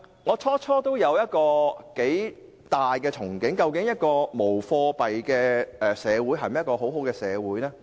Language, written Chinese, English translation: Cantonese, 我最初也頗有憧憬，想知道無貨幣社會是否一個先進的社會？, At first I had high hopes too . I wanted to know whether a cashless society is a more advanced society